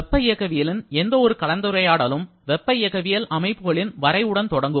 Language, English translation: Tamil, So, any discussion of thermodynamics starts with the definition of a thermodynamic system so, what is a thermodynamic system